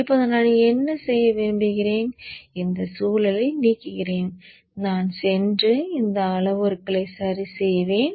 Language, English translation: Tamil, Now what I would like to do is with from this environment I will go and adjust these parameters